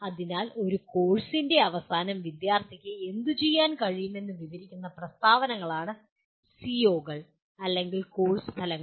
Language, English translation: Malayalam, So COs or course outcomes are statements that describe what student should be able to do at the end of a course